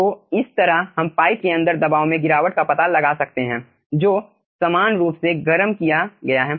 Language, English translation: Hindi, okay, so in this way we can find out pressure drop inside a pipe which is uniformly heated